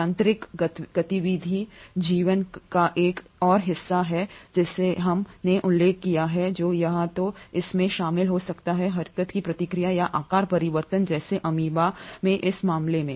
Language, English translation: Hindi, Mechanical activity is another part of life as we mentioned which may either be involved in the process of locomotion or in this case of amoeba such as shape change